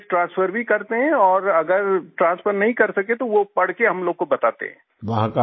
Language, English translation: Hindi, Yes…Yes… We also transfer documents and if they are unable to transfer, they read out and tell us